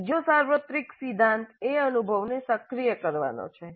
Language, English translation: Gujarati, The second universal principle is activating the experience